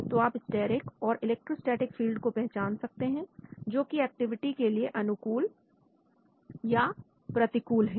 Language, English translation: Hindi, So you identify steric and electrostatic fields, which are favorable or unfavorable for activity